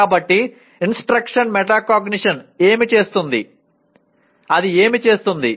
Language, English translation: Telugu, So what does instruction metacognition, what does it do